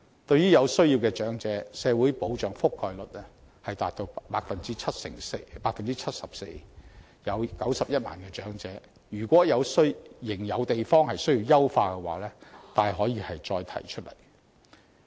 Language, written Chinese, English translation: Cantonese, 對於有需要的長者，社會保障的覆蓋率達到 74%， 共91萬名長者受惠，如果仍有需要優化之處，大可以再提出來。, For the elderly in need the coverage of social security is 74 % benefiting 910 000 elderly recipients . If enhancement is necessary it can be raised